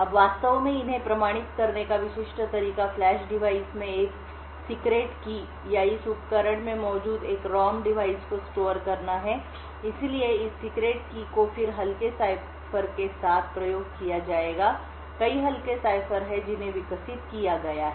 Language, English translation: Hindi, Now the typical way to actually authenticate these is to store a secret key in Flash device or a ROM device present in this device, So, this secret key would then be used to with lightweight ciphers, there are several lightweight ciphers which have been developed